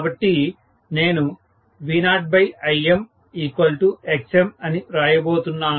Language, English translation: Telugu, So, I am going to write V0 by Im is equal to Xm, right